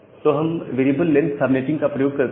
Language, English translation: Hindi, What is this variable length subnetting